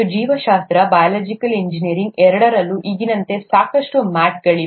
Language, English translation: Kannada, And, biology, biological engineering, both have a lot of mats in them, as of now